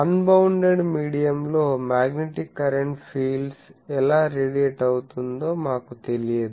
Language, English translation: Telugu, So, we do not know if a magnetic current is present in an unbounded medium how fields radiate